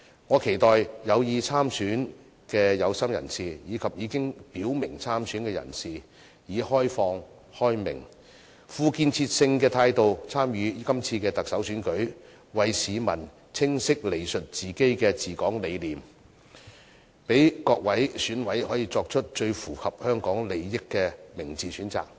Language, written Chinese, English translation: Cantonese, 我期待有意參選的有心人士，以及已經表明參選的人士，以開明、開放、富建設性的態度參與這次特首選舉，為市民清晰闡述自己的治港理念，讓各位選委作出最符合香港利益的明智選擇。, I hope those intending and also those who have already expressed the intention to stand in the election can participate in this Chief Executive election with a liberal open and constructive attitude and clearly explain to people their philosophies of governing Hong Kong so as to enable the Election Committee members to make a wise choice which is in the best interests of Hong Kong